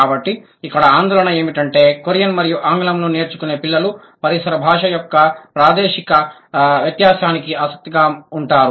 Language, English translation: Telugu, So, the concern here is that the children who are acquiring Korean and English, they are sensitive to the spatial distinction of the ambient language